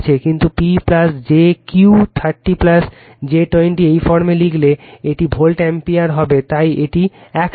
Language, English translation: Bengali, But, when you write in this form P plus jQ 30 plus j 20, it will be volt ampere that is why this together